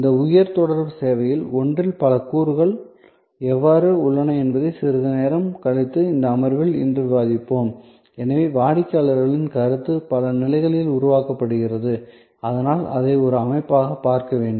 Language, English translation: Tamil, So, we will discuss it today itself in this session a little later, that how there are number of elements involved in one of these high contact services and therefore, the customers perception gets generated at multiple levels and so one has to look at it as a system